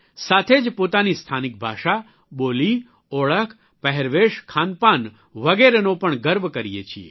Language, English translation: Gujarati, We are as well proud of our local language, dialect, identity, dress, food and drink